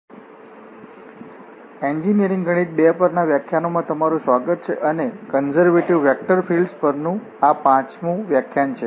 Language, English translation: Gujarati, So, welcome to the lectures on engineering mathematics 2 and this is lecture number five on Conservative Vector Fields